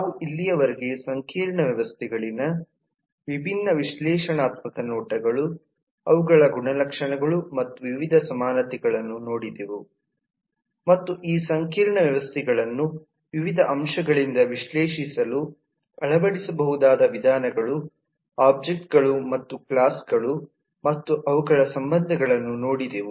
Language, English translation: Kannada, we have so far been taking different analytic looks into complex systems, their attributes and variety of commonalities and approaches that could be adopted to analyse this complex systems from various aspects of objects and classes and their relationships